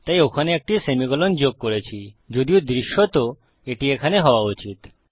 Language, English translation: Bengali, So I have added a semicolon there, although to the human eye visually it should be there